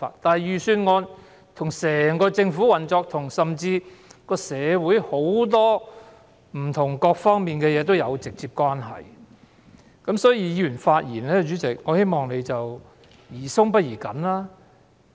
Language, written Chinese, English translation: Cantonese, 由於預算案跟整個政府的運作，以至社會各方面的事情都有直接關係，我希望主席對議員發言的態度宜寬不宜緊。, Given that the Budget is directly related to the overall operation of the Government and all aspects of our society I hope that the President will adopt a lenient approach to Members speeches instead of being stringent